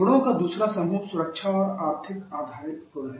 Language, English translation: Hindi, Second group of properties are the safety and economic phase properties